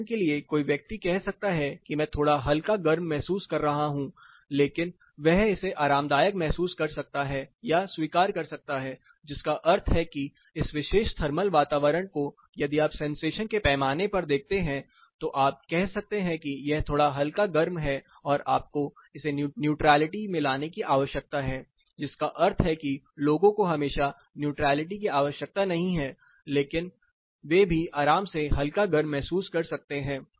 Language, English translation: Hindi, For instance a person might say I am slightly warm, but he may say it is comfortably warm and he can also say I can accept this, which means this particular setup thermal environment if you go with the sensation scale you may say that no this is slightly warm you need to bring it to neutrality, which means that people always do not need neutrality, but they can also be feeling comfortably warm